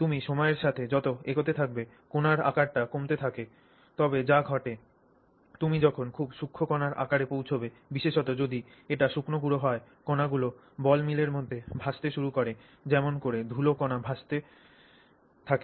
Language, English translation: Bengali, And so the fine, so as you continue with progressively with time the particle size keeps going down but what also happens is when you get to extremely fine particle size especially if it is dry powder that is is in there, that particles will start floating in the ball mill, just like dust particles float in the air, they start floating in the ball mill